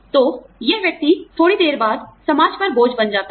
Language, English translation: Hindi, So, this person, becomes a burden on society, after a while